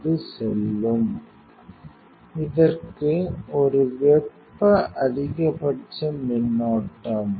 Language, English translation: Tamil, And for this one thermal maximum current